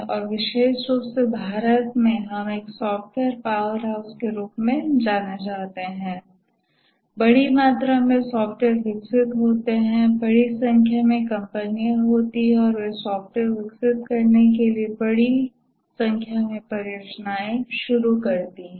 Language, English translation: Hindi, We encounter software in many places and especially in India, we are known as a software powerhouse, huge amount of software gets developed, large number of companies and they undertake large number of projects to develop software